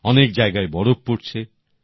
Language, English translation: Bengali, Many areas are experiencing snowfall